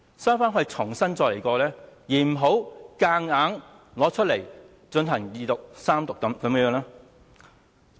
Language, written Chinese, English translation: Cantonese, 收回《條例草案》重新檢視，而不是強行推出來，進行二讀、三讀。, It should withdraw the Bill for re - examination instead of pushing it through for Second Reading and Third Reading